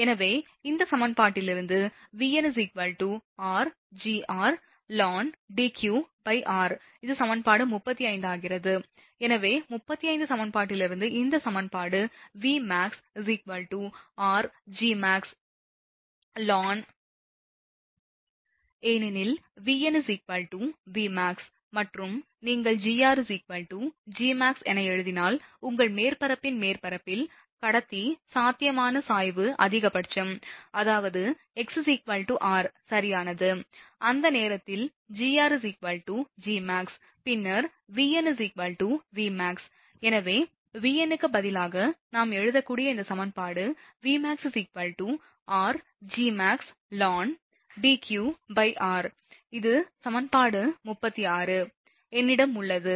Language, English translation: Tamil, So, from this equation, we get that Vn is equal to r Gr ln Deq upon r this is equation 35 therefore, that from equation 35 actually, become this equation Vmax is equal to r Gmax ln Deq upon r, because V n is equal to Vmax and if you put, Gr is equal to Gmax because, at the surface of the your this thing of the surface of the conductor potential gradient is maximum, that is at x is equal to r right therefore, at the time in that case Gr will be Gmax and then, Vn will be Vmax therefore, this equation we can write instead of Vn we can write V max r and Gr should be replaced by Gmax, ln Deq upon r this is equation 36 a I have marked it as a 36 a actually